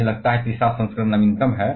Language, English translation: Hindi, I think the third edition is the latest one